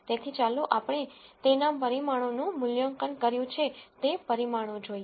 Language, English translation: Gujarati, So, let us look at the parameters they have been evaluated on